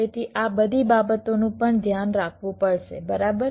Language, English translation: Gujarati, so all this things also have to be taken care of, right